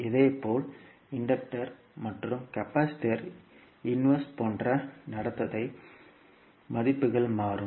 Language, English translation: Tamil, And similarly, the values of like conductance the inverse of inductor and capacitor will change